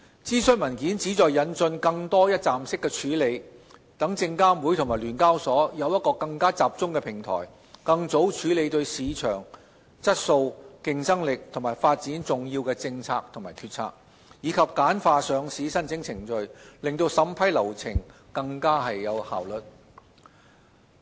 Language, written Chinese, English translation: Cantonese, 諮詢文件旨在引進更多一站式處理，讓證監會及聯交所有更集中的平台，更早處理對市場質素、競爭力及發展重要的政策及決策，以及簡化上市申請程序，令審批流程更有效率。, The consultation paper aims at introducing further one - stop processing and providing a more focused platform for SFC and SEHK to tackle policies and decisions that are significant to the quality competitiveness and development of the market at an earlier stage . The paper also aims at streamlining the process for initial listing applications with a view to enhancing the efficiency of the vetting and approval process